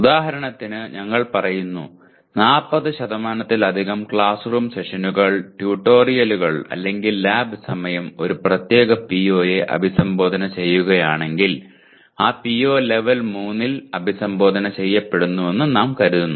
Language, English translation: Malayalam, For example, we said if more than 40% of classroom sessions, tutorials or lab hours addressing a particular PO, we consider that PO is addressed at the level 3